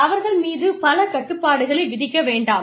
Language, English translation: Tamil, Do not impose, too many restrictions on them